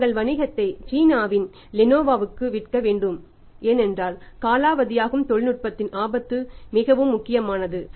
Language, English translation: Tamil, They have to sell of their business for Lenovo of China so that technology an obsolesces risk is very, very important